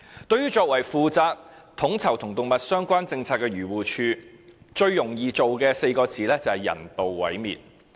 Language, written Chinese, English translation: Cantonese, 對於作為負責統籌與動物相關政策的漁護署，最容易做到的4個字是"人道毀滅"。, For AFCD which is responsible to coordinate animal - related policies the easiest task is euthanization